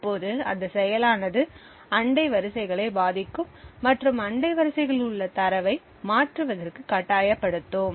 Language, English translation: Tamil, Now this would influence the neighbouring rows and force the data present in the neighbouring rows to be toggled